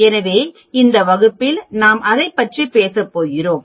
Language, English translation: Tamil, So, that is what we are going to talk about in this class